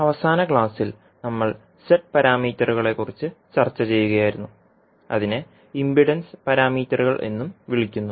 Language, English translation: Malayalam, Namaskar, so in the last class we were discussing about the Z parameters that is also called as impedance parameters